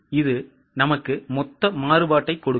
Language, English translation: Tamil, This will give us the total variance